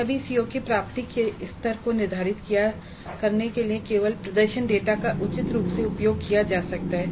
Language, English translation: Hindi, Then only the performance data can be used reasonably well in determining the attainment levels of the COs